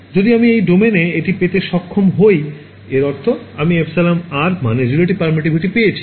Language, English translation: Bengali, If I am able to get this in this domain; that means, I have got an image of epsilon r relative permittivity